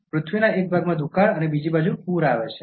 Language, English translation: Gujarati, There could be drought in one part of the Earth and flood on the other